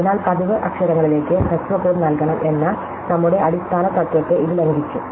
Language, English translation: Malayalam, So, this violated our basic principle that shorter code should be assigned to more frequent letters